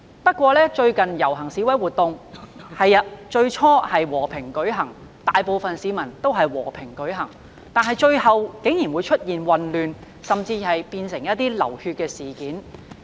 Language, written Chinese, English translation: Cantonese, 不過，最近的遊行示威活動，最初大部分市民的確是和平進行，但最後竟出現混亂，甚至變成流血事件。, However recent processions and demonstrations despite being largely peaceful initially turned into chaos and even developed into bloodsheds eventually